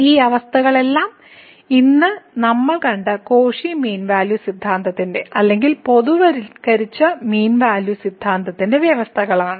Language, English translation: Malayalam, So, all these conditions are the conditions of the Cauchy mean value theorem or the generalized mean value theorem we have just seen today